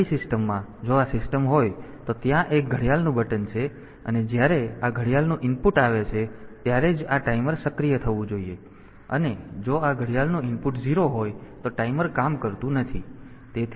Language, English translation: Gujarati, So, in my system if this is the system, there is a there is a watch button and when this watch input comes, then only then only this timer should be activated, and if this watch input is 0 then the timer should not work